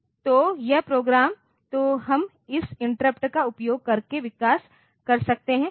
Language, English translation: Hindi, So, this program so, we can develop using this interrupt